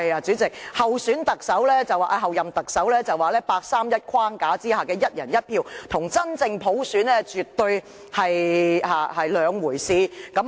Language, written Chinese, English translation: Cantonese, 主席，候任特首所指的八三一框架下的"一人一票"，與真正普選絕對是兩回事。, President the Chief Executive - elects version of one person one vote under the framework of the 31 August Decision and a genuine universal suffrage are entirely two separate issues